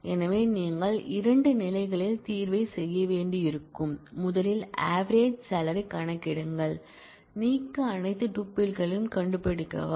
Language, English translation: Tamil, So, you will have to do the solution in two stages: first compute the average salary, find all tuples to delete